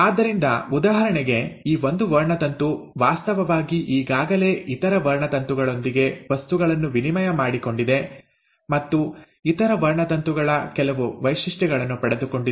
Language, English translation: Kannada, So for example, this one chromosome is actually, it has already exchanged material with the other chromosome, and it has received some features of the other chromosome